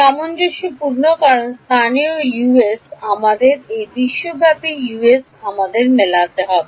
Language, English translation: Bengali, Consistent because the local Us and the global Us have to match